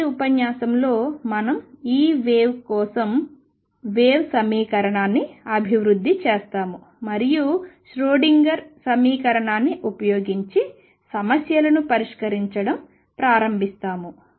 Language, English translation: Telugu, In the next lecture we will develop the wave equation for this wave, and start solving problems using the Schrodinger equation